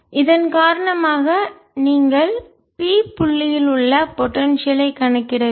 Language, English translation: Tamil, due to that, you have to calculate the potential at point p